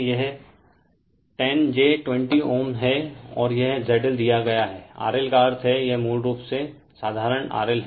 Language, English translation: Hindi, This is 10 j 20 ohm, and this is Z L is given R L that means, it is basically simply R L right